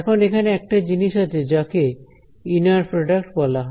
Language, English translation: Bengali, Now, there is something called as the inner product right